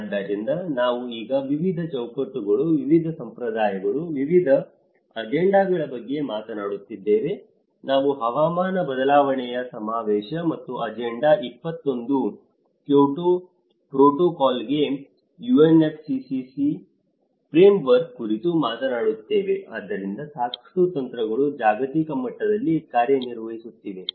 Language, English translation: Kannada, So that is where we are now talking about various frameworks, various conventions, various agendas, we talk about UNFCCC framework for climate change convention and agenda 21, Kyoto protocol, so there are a lot of strategies which is actually working out as a global level as well